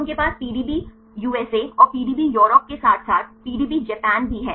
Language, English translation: Hindi, So, they have a PDB USA and PDB Europe as well as a PDB Japan